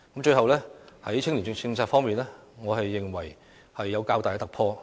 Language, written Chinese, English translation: Cantonese, 在青年政策方面，我認為有較大突破。, As far as I am concerned there is a rather significant breakthrough in youth policy